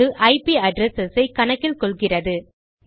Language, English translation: Tamil, It deals with IP addresses